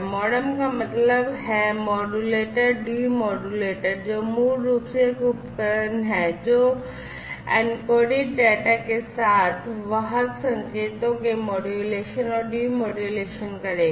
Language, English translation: Hindi, MODEMs are quite popular, MODEM technology, MODEM stands for Modulator Demodulator, which is basically a device that will do modulation and demodulation of carrier signals, with the encoded data